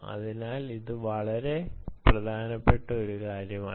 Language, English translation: Malayalam, so it's nothing but a very important thing